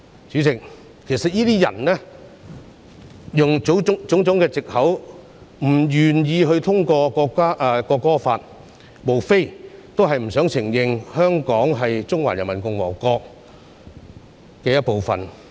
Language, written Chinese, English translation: Cantonese, 主席，有些人利用種種藉口，不願意通過《條例草案》，無非是不想承認香港是中華人民共和國的一部分。, President using all kinds of excuses some people are unwilling to pass the Bill simply because they do not wish to admit that Hong Kong is a part of PRC